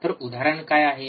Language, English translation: Marathi, This is an example, what is the example